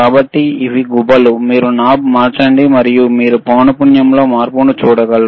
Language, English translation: Telugu, So, these are knobs, you can you can change the knob, and you will be able to see the change in the frequency